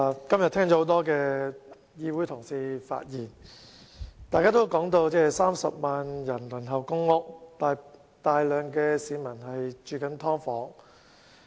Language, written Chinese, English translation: Cantonese, 今天聽到多位同事的發言，大家都提到有30萬人輪候公屋，以及有大量市民居於"劏房"。, After listening to the speeches given by Members today I notice that all of you have mentioned the fact that 300 000 people are now queuing for public rental housing PRH and a large number of people are living in subdivided units